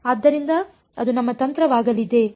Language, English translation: Kannada, So, that is going to be our strategy